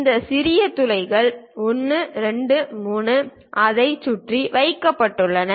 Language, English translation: Tamil, Thisthese smaller holes 1, 2, 3 are placed around that